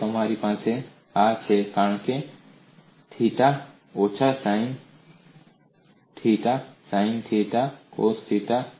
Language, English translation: Gujarati, So you have this as, cos theta minus sin theta sin theta cos theta